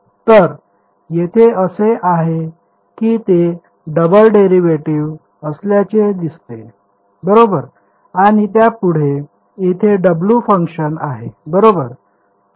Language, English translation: Marathi, So, there is a it seems to be a double derivative right and there is a W function next to it right